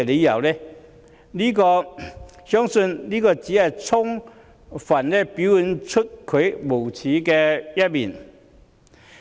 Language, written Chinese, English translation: Cantonese, 我相信這只是充分表現出她的無耻。, I believe this fully reflects her shamelessness